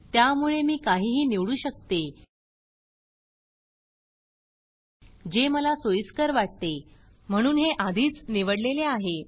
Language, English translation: Marathi, So I can for example use, anything that I choose, that I am comfortable with, so this is already selected